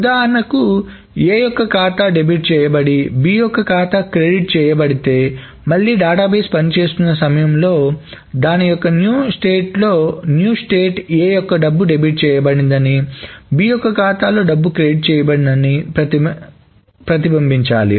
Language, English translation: Telugu, So if A's account has been debited and B's has been credited, after the database again comes up or again the database is being operated amount, the new state should reflect that A's money has been debited and B's has been credited